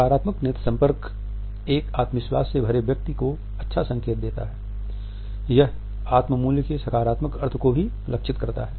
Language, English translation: Hindi, A positive eye contact suggest a confident person, it also suggest a positive sense of self worth